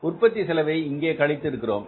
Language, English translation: Tamil, Now we are not subtracting the total cost here